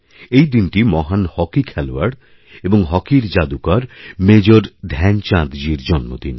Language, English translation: Bengali, This is the birth anniversary of the great hockey player, hockey wizard, Major Dhyan Chand ji